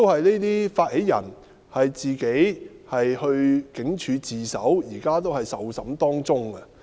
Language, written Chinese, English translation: Cantonese, 這些發起人亦自行到警署自首，現時仍接受調查。, These initiators have surrendered themselves to the Police and are still under investigation